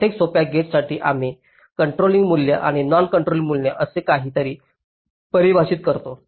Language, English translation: Marathi, for every simple gate, we define something called a controlling value and a non controlling value